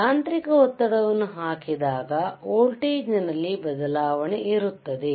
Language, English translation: Kannada, When it is when we apply a mechanical pressure there is a change in voltage,